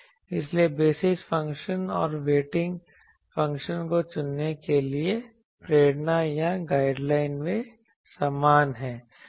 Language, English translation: Hindi, So, the motivation or the guideline for choosing the basis function and weighting function they are same